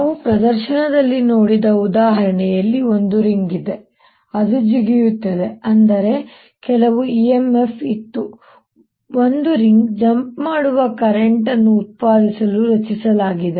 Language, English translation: Kannada, so let us see that in the example where we saw in the demonstration that there was ring which jump out, that means there was some e m f which was generated to generate the current that made the ring jump